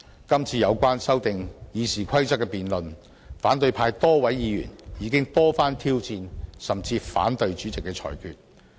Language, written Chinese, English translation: Cantonese, 今次有關修訂《議事規則》的辯論，反對派多位議員已經多番挑戰甚至反對主席的裁決。, In the debate on amending RoP a number of opposition Members have repeatedly challenged or even opposed the Presidents rulings